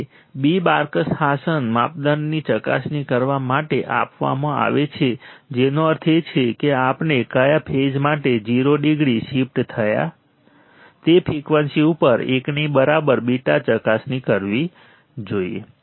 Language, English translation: Gujarati, So, A is given, beta is given to verify Barkhausen criteria which means we must verify A beta equal to 1 at a frequency for which phase shift 0 degree